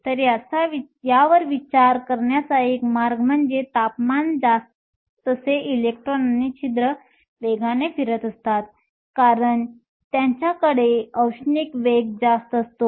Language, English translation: Marathi, So, one way to think about this is higher the temperature faster the electrons and holes are moving, because they have higher thermal velocities